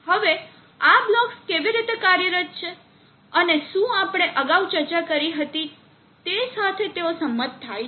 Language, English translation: Gujarati, Now how are these blocks functioning and do they agree with what we had discussed earlier